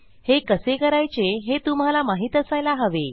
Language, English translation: Marathi, You should now know how to do this by now